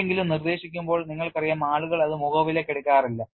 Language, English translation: Malayalam, You know when somebody proposes people will not accept it on the face of it